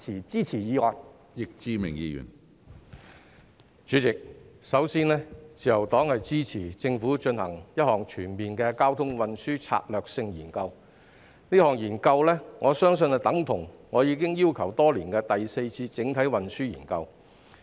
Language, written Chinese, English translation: Cantonese, 主席，首先，自由黨支持政府進行全面的交通運輸策略性研究，我相信這項研究等同我已要求多年的第四次整體運輸研究。, President first of all the Liberal Party supports the Government in conducting a comprehensive traffic and transport strategy study . I believe this study is equivalent to the Fourth Comprehensive Transport Study requested by me for years